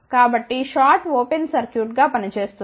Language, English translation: Telugu, So, short will act as open circuit